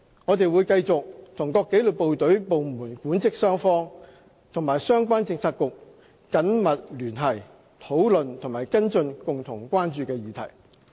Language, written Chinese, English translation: Cantonese, 我們會繼續和各紀律部隊部門的管職雙方和相關政策局緊密聯繫，討論和跟進共同關注的議題。, We will maintain close contact with the management and staff side of the disciplined services and relevant bureaux to discuss and follow up on matters of common interest